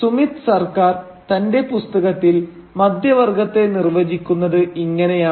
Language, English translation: Malayalam, But this is how Sumit Sarkar defines middle class in his book